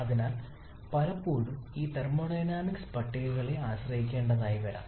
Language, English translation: Malayalam, And therefore quite often we may have to depend on this thermodynamic tables